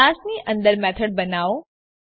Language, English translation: Gujarati, Inside the class create a method